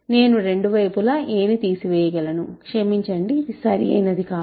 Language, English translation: Telugu, I can just subtract both sides sorry, a this is not correct